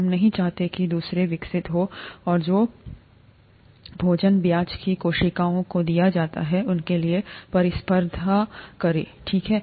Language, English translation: Hindi, We do not want the others to grow, and compete for the food that is given to the cells of interest, okay